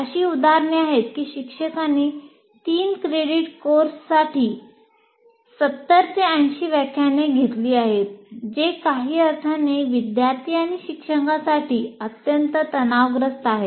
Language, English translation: Marathi, There are instances where teachers have taken 70, 80 lectures for a three credit course, which is, which in some sense extremely stressful to the students to do that